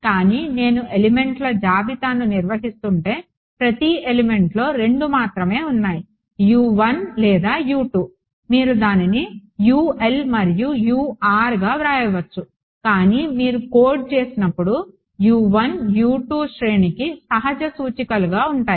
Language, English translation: Telugu, But if I am maintaining a list of elements then within each element there only two U 1 or U 2 you could write it as U l and U r, but then when you go to coded right U 1 U 2 becomes natural indexes for an array right yeah